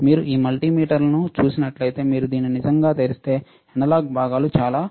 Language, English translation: Telugu, If you see this multimeter if you really open it there is lot of analog components